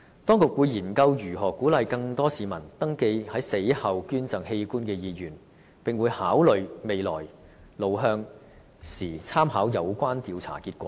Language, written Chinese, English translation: Cantonese, 當局會研究如何鼓勵更多市民登記在死後捐贈器官的意願，並會在考慮未來路向時，參考有關調查的結果。, The authorities will consider ways to encourage more people to register their wish to donate organs after death and study the survey findings in mapping out the way forward